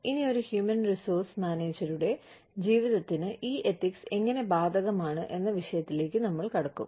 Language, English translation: Malayalam, Now, we will move on to the topic of, how these ethics are applicable, to the life of a human resource manager